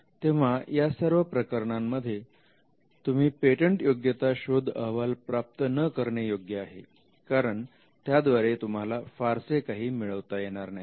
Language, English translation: Marathi, So, in in all these cases you would not go in for a patentability search report, because there is nothing much to be achieved by getting one